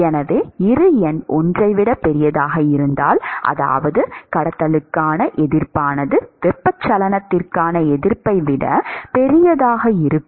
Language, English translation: Tamil, So, the third case is where Bi number is much smaller than 1; this means that the resistance to conduction is much smaller than resistance to convection